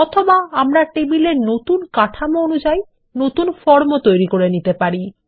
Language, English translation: Bengali, Or we can build new forms to accommodate new table structures